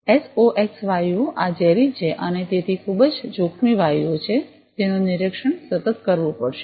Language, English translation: Gujarati, SOx gases, these are toxic and are very dangerous gases so; they will have to be detected monitored continuously